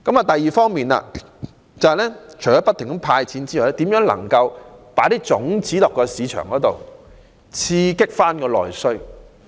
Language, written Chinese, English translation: Cantonese, 第二方面，除了派發金錢之外，亦要研究如何在市場播種，刺激內需。, On the other hand apart from the provision of financial assistance the Government should also examine what it should do to explore market opportunities and boost domestic demand